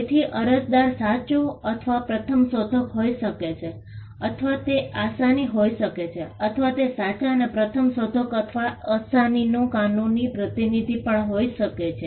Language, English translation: Gujarati, So, an applicant can be the true or first inventor, or it can be assignee, or it could also be a legal representative of the true or true and first inventor or the assignee